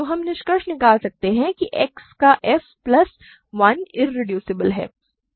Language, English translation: Hindi, So, we can conclude f of X plus 1 is irreducible, right